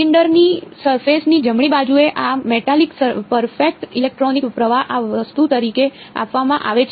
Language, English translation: Gujarati, Surface right of the surface of the cylinder this metallic perfect electric current is given to be this thing